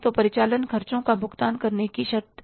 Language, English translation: Hindi, So, what are the terms of paying the operating expenses